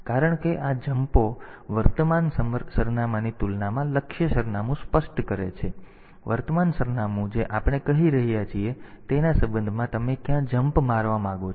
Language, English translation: Gujarati, Because these jumps the target address is specified relative to the current address; relative to the current address we are telling where do you want to jump